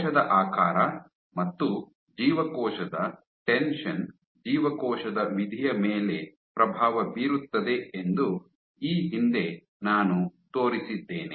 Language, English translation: Kannada, So, previously I have shown that cell shape influences cell shape and cell tension influences cell fate